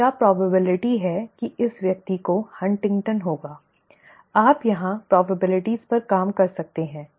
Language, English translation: Hindi, And what is the probability that this person will will have HuntingtonÕs, you can work at the probabilities here